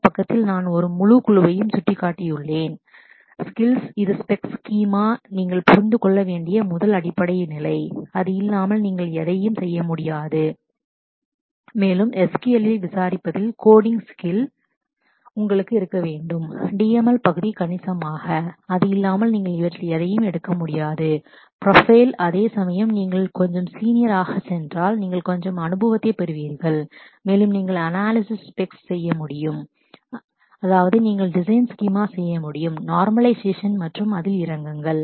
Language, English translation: Tamil, On this side, I have shown a whole grouping of skills, this is the first basic level that you must understand specs and schema, without that you cannot do any of this and you must have a skill for coding in inquire in SQL, the DML part significantly, without that as you can see you cannot pick up any of these profiles whereas, if you go a little if you go little senior you know gaining experience and you should be able to analyze specs that is, you should be able to design schema do normalization and get into this